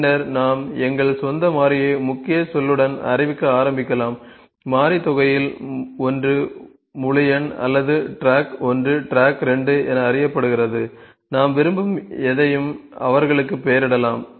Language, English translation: Tamil, So, then we can start to declare our own variable with the keyword let me say the one of the variable sum is known as may be integer or track 1, track 2, we can name them anything like we like